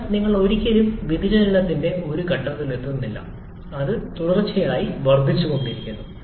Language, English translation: Malayalam, But you never reach a point of inflection, it keeps on increasing continuously